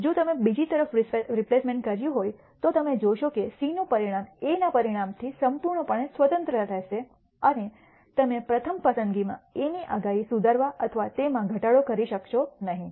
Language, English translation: Gujarati, If you have done A replacement on the other hand, you will nd that the outcome of C will be completely independent of outcome of A and you will not be able to improve or decrease the predictability of A in the first pick